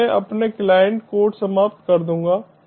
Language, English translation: Hindi, now i will terminate my client code